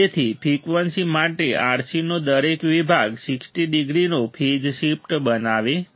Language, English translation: Gujarati, So, for a frequency each section of RC produces a phase shift of 60 degree